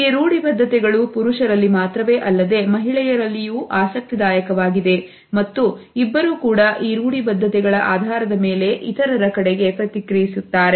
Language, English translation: Kannada, These stereotypes are widely held not only by men, but also interestingly by women and both react towards others on the basis of these stereotypes